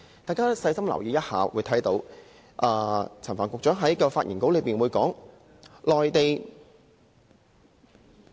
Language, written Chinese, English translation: Cantonese, 大家細心留意一下，會看到陳帆局長在發言稿內提到，內地......, If we pay more attention we can notice that in Secretary Frank CHANs speech the Mainland